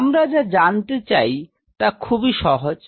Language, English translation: Bengali, So, what we are asking is simple